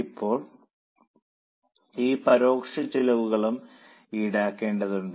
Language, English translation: Malayalam, Now we need to charge this indirect cost also